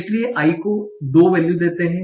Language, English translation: Hindi, Initial as i is equal to 2